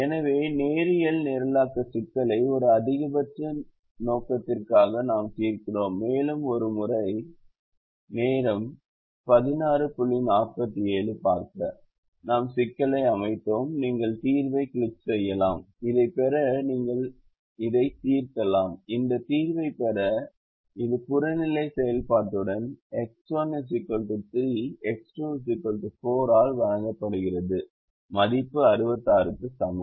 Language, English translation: Tamil, so this is how we solve the ah linear programming problem: a for a maximization objective and ah, just one more time, once we set the problem, you can click on the solver and you can solve this to get to get this solution which is: ah, given by x one equal to three, x two equal to four, with objective function value equal to sixty six